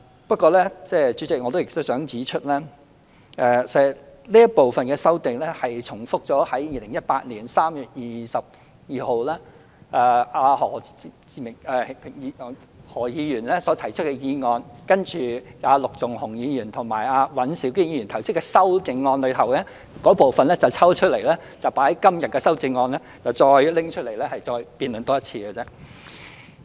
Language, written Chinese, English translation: Cantonese, 不過，代理主席，我亦想指出，這部分的修訂重複了2018年3月22日何啟明議員就"全面檢討勞工法例，改善勞工權益"提出的議案，並把陸頌雄議員和尹兆堅議員提出的修正案中有關部分抽出來，納入今天的修正案內，重新再辯論一次。, However Deputy President I would also like to point out that some of the amendments have repeated the proposals contained in the motion on Conducting a comprehensive review of labour legislation to improve labour rights and interests moved by Mr HO Kai - ming on 22 March 2018 . Members have also extracted some parts of Mr LUK Chung - hung and Mr Andrew WANs amendment at that time and incorporated them into their amendments today and a debate is then held afresh again